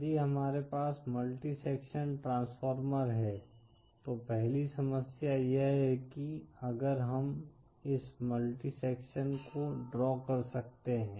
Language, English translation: Hindi, The 1st problem if we have with multi sections transformers is, if we can draw this multi sections